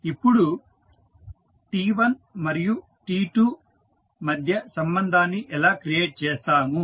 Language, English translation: Telugu, Now, how we will create the relationship between T1 and T2